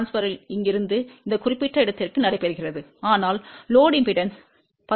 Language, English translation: Tamil, So, maximum power transfer takes place from here to this particular point, but the load impedance is 10 plus j 10 Ohm